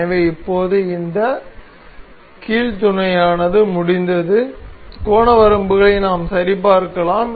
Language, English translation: Tamil, So, now, this hinge mate is complete and we can check for the angle limits